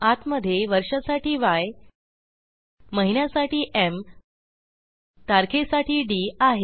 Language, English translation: Marathi, Inside we have Y for the year, m for the month and d for the date